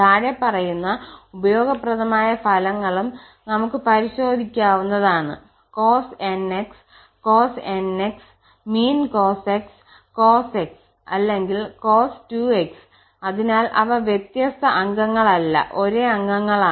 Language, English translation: Malayalam, We can also check this following useful results that if we take the same member that means the cos nx, cos nx mean cos x, cos x or cos 2x with cos 2x, so they are not different members, so they are the same members